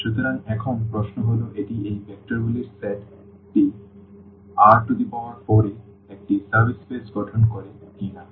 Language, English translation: Bengali, So, now, the question is whether this set the set of these vectors form a subspace in R 4